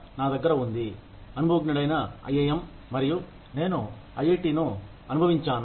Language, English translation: Telugu, I have experienced IIM, and I have experienced IIT